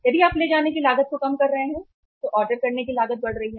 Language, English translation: Hindi, If you are lowering down the carrying cost, ordering cost is going up